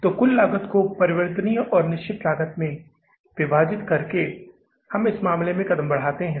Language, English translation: Hindi, So, by dividing the cost into total cost into variable and fixed cost, we move step by step in this case